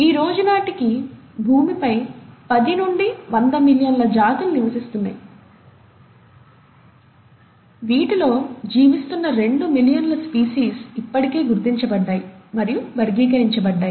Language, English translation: Telugu, You find that there are close to about ten to hundred million species, living species living on earth as of today, of which about two million living species have been already identified and classified